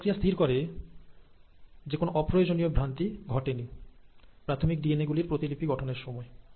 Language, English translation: Bengali, This mechanisms make sure that no unnecessary mutations, or no unnecessary errors have happened while copying of the parent DNA